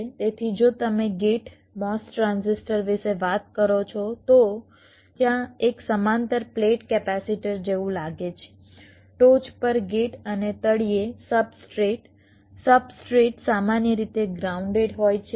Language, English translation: Gujarati, so if you thing about the gate mos transistor, there is a that looks like a parallel plate capacitor gate on top and the substrate at bottom substrate is normally grounded